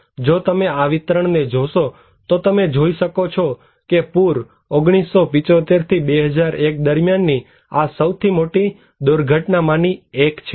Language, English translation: Gujarati, If you look into this distribution, you can see that the flood; this is one of the most reported disasters from 1975 to 2001